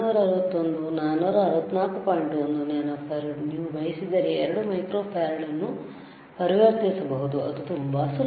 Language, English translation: Kannada, 1 nano farad, you can always convert 2 microfarad if you want it is very easy